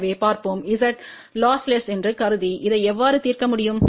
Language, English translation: Tamil, So, let us see how we can solve this assuming that Z is lossless